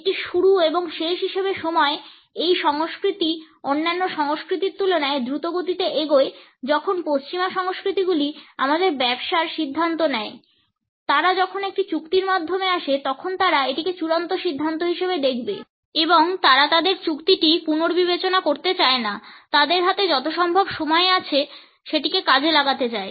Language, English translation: Bengali, Time as a beginning and an end, this culture is fast paced compared to other cultures when western cultures make a decision of our business they will see it as final when they come through an agreement and so, they do not have to rethink or just of the agreement; they wants to do as much as possible in the time they have